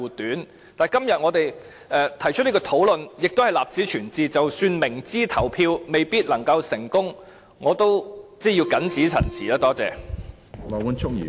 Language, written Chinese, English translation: Cantonese, 但是，今天我們提出這個討論，亦是為立此存照，即使明知表決不一定成功......我謹此陳辭，多謝。, That we initiate the discussion today is however for record purpose even though we are well aware that the voting result may not be in our favour I so submit thank you